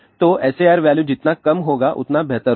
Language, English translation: Hindi, So, the lower the SAR value better it would be